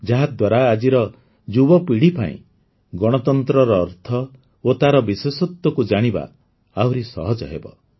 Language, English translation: Odia, This will make it easier for today's young generation to understand the meaning and significance of democracy